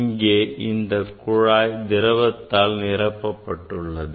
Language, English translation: Tamil, Now, here say this tube containing solution